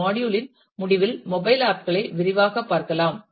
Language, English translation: Tamil, At the end of this module let me take a quick look into the mobile apps